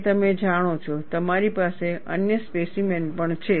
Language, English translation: Gujarati, And you know, you also have other specimens